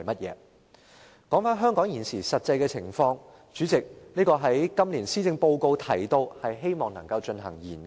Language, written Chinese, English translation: Cantonese, 至於香港現時的實際情況，主席，今年的施政報告提到，政府希望能就此進行研究。, As for the present situation in Hong Kong President it is mentioned in this years policy address that the Government hopes to conduct a study in this regard